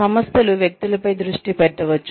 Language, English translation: Telugu, Organizations could focus on individuals